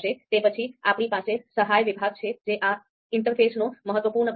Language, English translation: Gujarati, So this help section is an important part of this interface